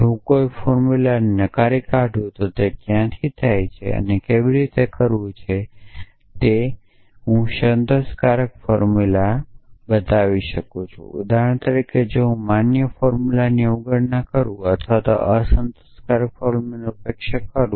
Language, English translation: Gujarati, If I take a negation of a formula what where does this how to how do they get related to each other if I take a negation of satisfiable formula for example, if I take the negation of valid formula or take a negation of unsatisfiable formula